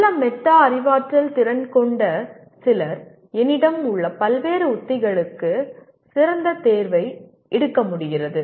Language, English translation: Tamil, Some people with good metacognitive skills are able to make a better choice between the various strategies that I have